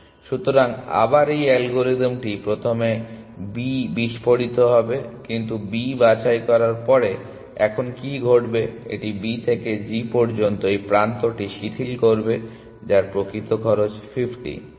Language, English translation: Bengali, So, again this algorithm will explode B first, but what will happen now after picking B it will relax this edge from B to g which actual cost is 50